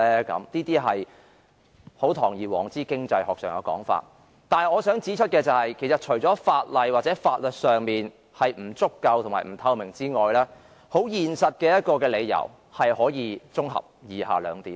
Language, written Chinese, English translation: Cantonese, 這些是堂而皇之的經濟學說法。可是，我想指出的是，其實除了法例或法律條文不足夠和不透明外，現實的理由可以綜合為以下兩點。, Having said that I wish to point out that apart from the inadequacy of and a lack of transparency in the legislation or legal provisions the reasons in reality can be summed up into two points